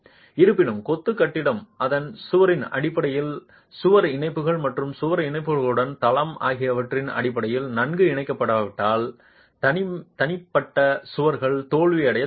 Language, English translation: Tamil, However, if the masonry building is not well connected in terms of its wall to wall connections and floor to wall connections, individual walls will start failing